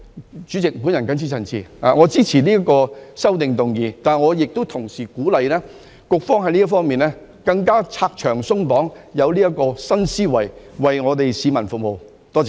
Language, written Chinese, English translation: Cantonese, 代理主席，我謹此陳辭，支持修正案，但同時亦鼓勵局方要在這方面更加拆牆鬆綁，以新思維為市民服務，多謝。, With these remarks Deputy President I support the amendments . Yet at the same time I also encourage the Bureau to make more efforts to remove barriers and restrictions in this regard and serve the public with new thinking